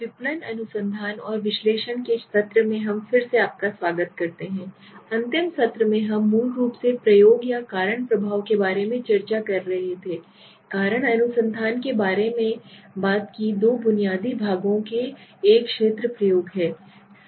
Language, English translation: Hindi, Welcome friends again to the session of marketing research and analysis we were in the last session we were discussing about the experimentation or the causal effect basically in which we talked about causal research has two basic parts one is the field experiment